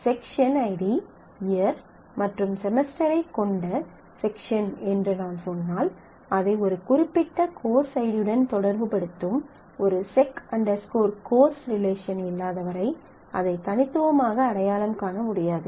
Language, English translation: Tamil, So, if I just say section having section id year and semester then it is not uniquely specified, until I have a relation section course which relates the section to the particular course id